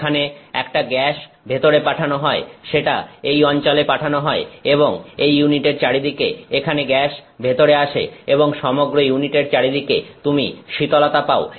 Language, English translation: Bengali, There is a gas being sent in, that is being sent into this region and all around this unit the gas comes in here and all around this unit you have cooling